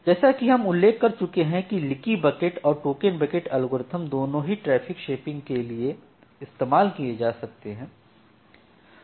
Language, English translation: Hindi, Now, as you are mentioning that both the leaky bucket and the token bucket algorithms can be used for traffic shaping